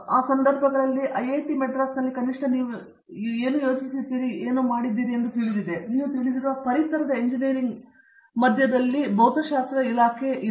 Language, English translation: Kannada, In that context, how much do you think at least, for example, in IIT, Madras, we have a physics department in the midst of a engineering you know environment